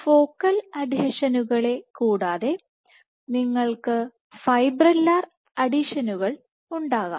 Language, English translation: Malayalam, So, from Focal Adhesions in adhesion you can have Fibrillar Adhesions